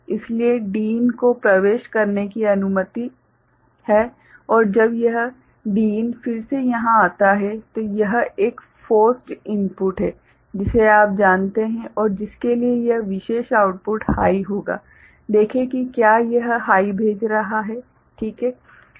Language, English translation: Hindi, So, Din is allowed to enter right and when this Din comes here again this is a forced input, which is you know and for which this particular output will be of a say high value, see if it is sending a high ok